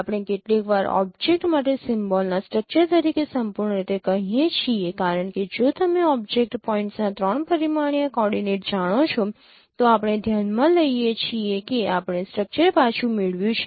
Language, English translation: Gujarati, We sometimes refer the whole ensemble as a structure of an object because if you know the three dimensional coordinates of the object points we consider we have recovered the structure